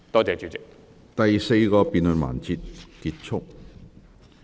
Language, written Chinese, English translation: Cantonese, 第四個辯論環節結束。, The fourth debate session ends